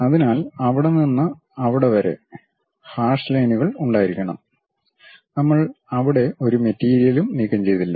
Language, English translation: Malayalam, So, from there to there, there should be hashed lines; we did not remove any material there